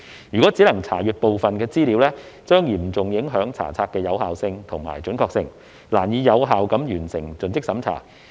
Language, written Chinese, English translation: Cantonese, 如只能查閱部分資料，將嚴重影響查冊的有效性和準確性，難以有效地完成盡職審查。, If only partial information is available for inspection the effectiveness and accuracy of inspection will be seriously jeopardized rendering it difficult to complete due diligence effectively